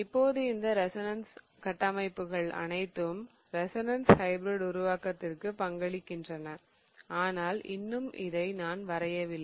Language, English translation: Tamil, So, now in these all of these resonance structures, remember that all of them are contributing towards the resonance hybrid but I still haven't drawn the resonance hybrid